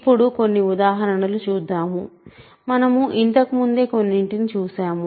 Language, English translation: Telugu, So, now, some examples; so, we already looked at some before